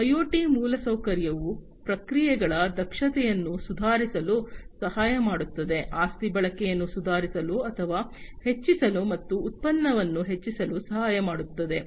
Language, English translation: Kannada, IoT is IoT infrastructure can help in improving the efficiency of the processes can help in improving or enhancing the asset utilization, and increasing productivity